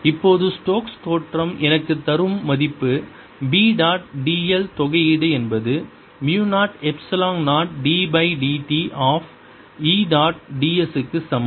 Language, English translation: Tamil, now stokes theorem gives me b dot d l is integration is equal to mu, zero, epsilon, zero d by d t of e dot d s